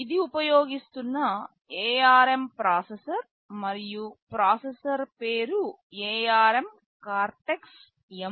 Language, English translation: Telugu, This is the ARM processor that is used and the name of the processor is ARM Cortex M4